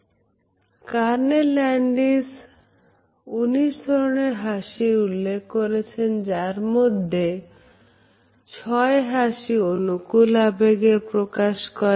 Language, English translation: Bengali, Carney Landis identified 19 different types of a smiles, but suggested that only six are associated with the expression of positivity